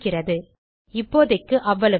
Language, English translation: Tamil, Okay so thats it for now